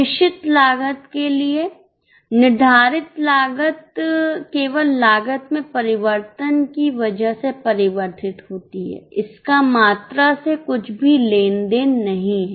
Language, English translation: Hindi, For fixed cost, fixed cost changes only because of change in the cost, nothing to do with volume